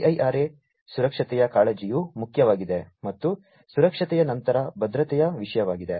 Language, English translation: Kannada, So, IIRA safety concern is important and after safety is the issue of security